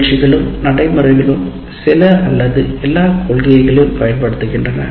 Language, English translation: Tamil, So programs and practices use some are all of the first principles